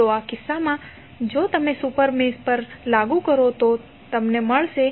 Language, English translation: Gujarati, So, in this case if you apply to super mesh what will happen